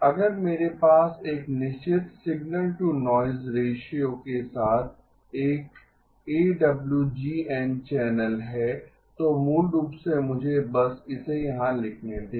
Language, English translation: Hindi, If I have an AWGN channel with a certain signal to noise ratio, so basically let me just write it down here